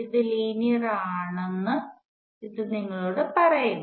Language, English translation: Malayalam, This immediately tells you, it is linear